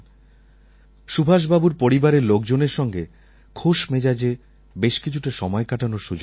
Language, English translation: Bengali, I got the opportunity to spend quality time with Subhash Babu's family members